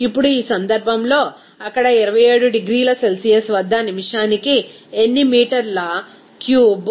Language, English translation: Telugu, Now, in this case, how many meter cube of initial gas was flowing per minute at 27 degrees Celsius there